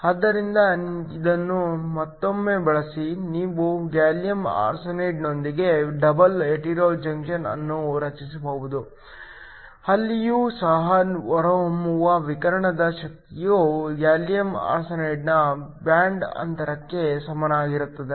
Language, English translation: Kannada, So, Once again using this, you can form a double hetero junction with gallium arsenide even there the energy of the radiation that comes out will be equal to the band gap of gallium arsenide